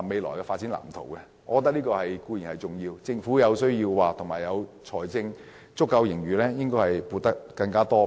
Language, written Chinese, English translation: Cantonese, 我認為這項撥款固然重要，但政府有需要在財政盈餘充裕的情況下，提供更多撥款。, I certainly find such a provision crucial but with a fiscal surplus in abundance the Government should allocate more funding still